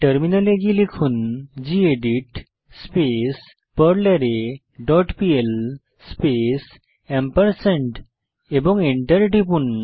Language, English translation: Bengali, Switch to terminal and type gedit perlArray dot pl space and press Enter